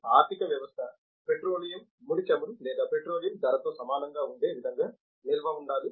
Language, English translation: Telugu, The storage must be in such a way that the economy must be equal to the petroleum crude oil or petroleum price